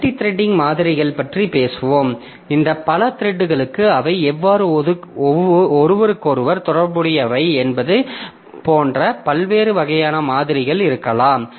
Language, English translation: Tamil, So, there can be different types of models for this multiple threads like how they are related to each other